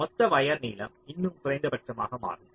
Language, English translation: Tamil, ok, so that the total wire length still becomes minimum